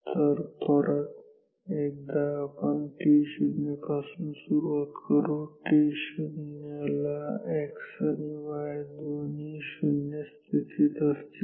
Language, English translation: Marathi, So, once again we will start from say t 0, at t 0 x position and y position both are 0